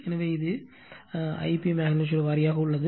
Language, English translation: Tamil, So, this is my I p magnitude wise right